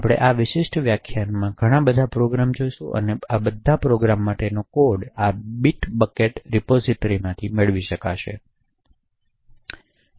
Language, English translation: Gujarati, So, we will be looking at a lot of programs in this particular lecture and the code for all these programs can be obtained from this bitbucket repository